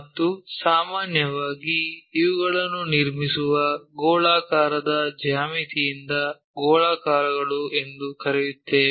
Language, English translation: Kannada, And, usually we call these are spheroids from spherical geometry we construct them